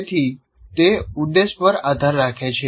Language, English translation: Gujarati, So it depends on the objective